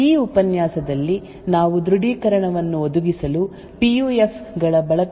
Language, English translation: Kannada, In this lecture we will be looking at the use of PUFs to provide authentication